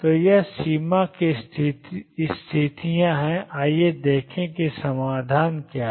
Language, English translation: Hindi, So, these are the boundary conditions, let us see what the solution is lie